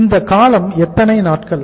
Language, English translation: Tamil, So what is the duration here